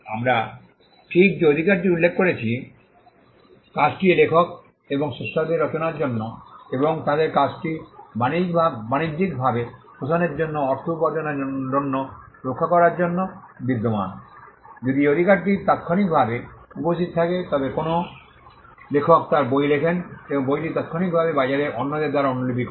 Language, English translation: Bengali, The right we just mentioned exist to protect the authors and creators of the work to exploit and to make money out of their work to commercially exploit their work, what happens if this right then exist for instant an author writes her book and the book is immediately copied by others in the market